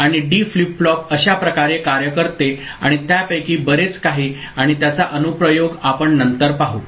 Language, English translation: Marathi, And this is how the D flip flop works and more of it, its application we shall see later